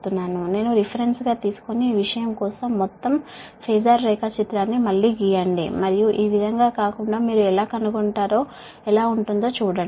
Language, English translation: Telugu, take i as reference and draw the, redraw the whole phasor diagram, fall this thing right and see how it will looks like